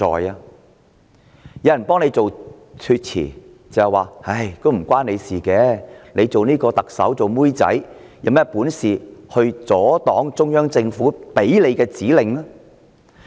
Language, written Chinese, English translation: Cantonese, 有人替她開脫，說與她無關，指她作為特首其實只是奴婢，有甚麼本事阻擋中央政府的指令。, Some people defend her saying that she is innocent and that the Chief Executive is only a servant to the Central Government and she has no power to stop orders from the Central Government